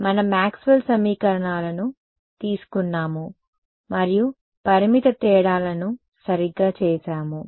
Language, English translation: Telugu, We took Maxwell’s equations and then and did finite differences right so, finite